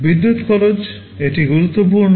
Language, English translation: Bengali, Power consumption, this is important